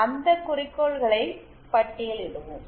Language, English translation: Tamil, Let us list the goals